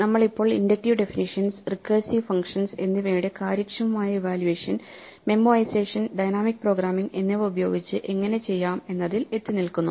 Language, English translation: Malayalam, We are in the realm of Inductive Definitions, Recursive Functions and Efficient Evaluation of these using memorization and dynamic programming